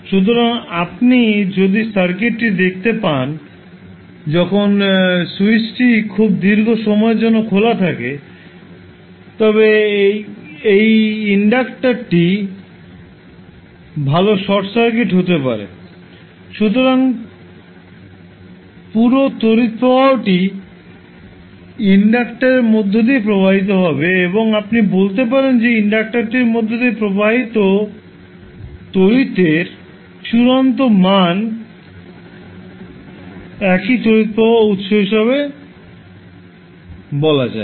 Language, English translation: Bengali, So if you see the circuit when the switch is open for very long period this inductor well be short circuit, so whole current that is I s will flow through the inductor and you can say that the final value of current which is flowing through inductor is same as source current that is I s